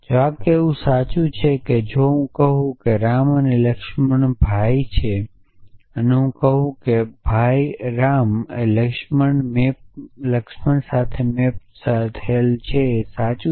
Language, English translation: Gujarati, That a predicate like this is true if I say brother ram laxman and I say brother ram laxman maps true